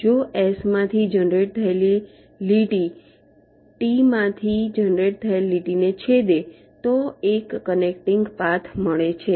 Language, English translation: Gujarati, ah, if a line generated from s intersects a line generated from t, then a connecting path is found